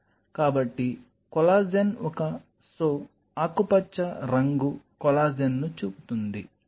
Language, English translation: Telugu, So, the collagen itself is a so, the green one is showing the collagen